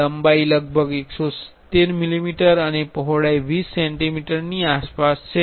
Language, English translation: Gujarati, So, the length is around 170 centimeter, 170 millimeter and the width is around 20 centimeters